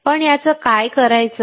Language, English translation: Marathi, But what to do with this